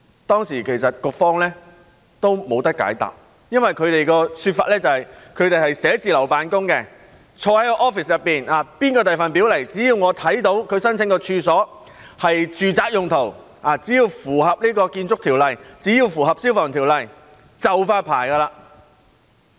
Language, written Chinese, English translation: Cantonese, 當時局方亦沒有解答，他們的說法是，因為他們是寫字樓辦公的，他們坐在辦公室內，無論誰向他們遞表申請，只要他們看到其申請的處所是住宅用途、符合《建築物條例》和《消防條例》，便會發牌。, At that time the authorities were unable to give an explanation . They only argued that since they were only working in the office no matter who was filing the application they would issue the licence as long as the premises concerned were for residential use and in compliance with the Buildings Ordinance and the Fire Services Ordinance